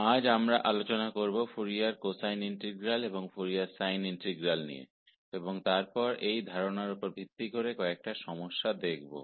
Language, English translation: Hindi, So, today, we will discuss what are Fourier cosine integrals and Fourier sine integrals and then some worked problems based on these concepts